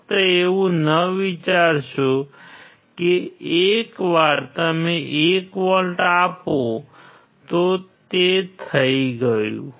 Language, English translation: Gujarati, Do not just think that once you are applying 1 volt, it is done